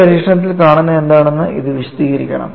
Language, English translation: Malayalam, It should explain what is seen in an experiment